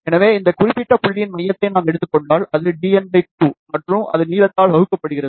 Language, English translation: Tamil, So, if we take the centre of this particular point, which is d n by 2, and that is divided by the length